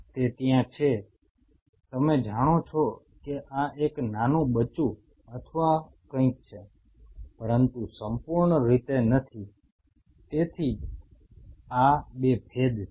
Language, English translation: Gujarati, It is there you know that this is a small pup or something, but not fully that is why these 2 distinctions are there